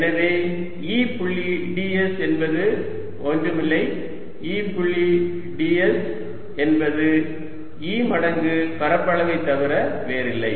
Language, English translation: Tamil, so you see e and the surface are parallel everywhere and therefore e d s is nothing but e dot d s is nothing but e times area there